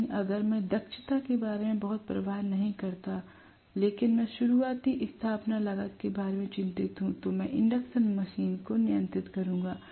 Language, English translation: Hindi, But if I do not care soo much about the efficiency, but I am worried about the initial installation cost, I will rather employ induction machine